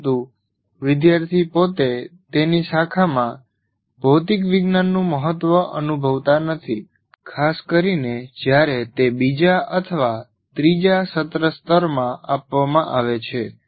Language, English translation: Gujarati, But the student himself doesn't feel the importance of material science in his branch, especially when it is offered at second or third semester level